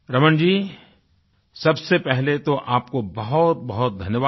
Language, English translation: Hindi, Thank you very much, Raman ji